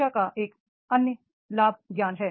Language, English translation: Hindi, Another benefit of the education is that is the knowledge